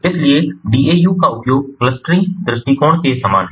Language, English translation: Hindi, so use of daus is very similar to clustering approach